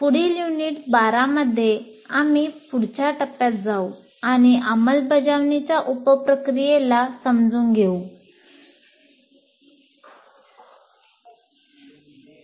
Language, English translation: Marathi, And in the next unit, unit 12, we try to now move on to the next one, the understand the sub process of implement phase